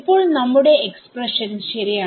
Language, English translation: Malayalam, Now our expression is correct